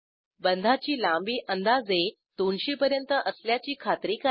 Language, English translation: Marathi, Ensure that bond length is around 200